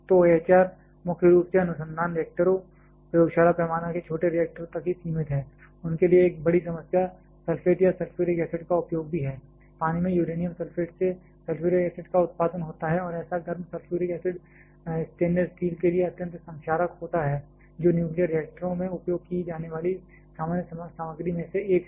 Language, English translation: Hindi, So, AHR is primarily limited to research reactors, lab scale small reactors till date, a big problem for them is also the use of the sulphate or sulphuric acid, uranium sulphate in water leads to the production of sulphuric acid and such hot sulphuric acid is extremely corrosive to stainless steel which is one of the common material is used in nuclear reactors